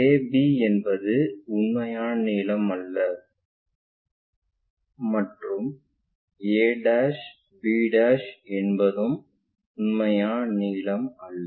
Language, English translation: Tamil, The a b is not a true length, neither a b is true nor a' b' is true length